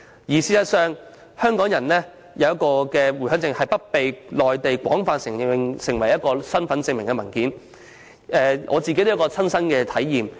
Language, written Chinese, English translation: Cantonese, 事實上，現時港人持有的回鄉證未被內地廣泛承認為身份證明文件，在這方面，我也有切身的體驗。, As a matter of fact the Home Visit Permit which Hong Kong people are holding now is not widely recognized on the Mainland as an identification document and in this connection I have some personal experiences to share